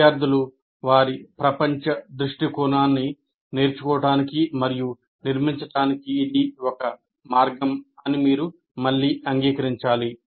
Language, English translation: Telugu, So this, again, you have to acknowledge this is a way the students learn and construct their worldview